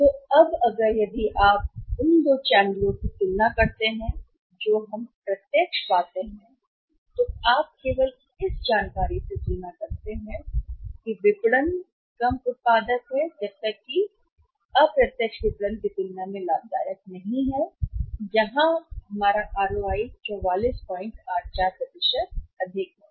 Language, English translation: Hindi, So, now if you compare from this information only, if you compare the two channels we find the direct marketing is less productive unless profitable as compared to the indirect marketing where we have the ROI which is much higher that is 44